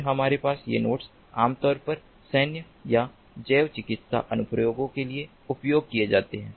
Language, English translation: Hindi, these nodes typically used for military or biomedical applications